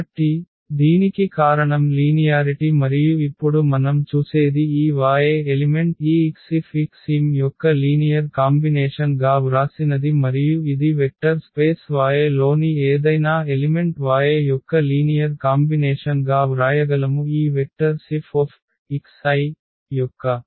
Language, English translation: Telugu, So, this is because of the linearity and now what we see that this y element we have written as a linear combination of this x F x m and this is exactly that any element y in the vector space y we can write as a linear combination of these vectors F x i’s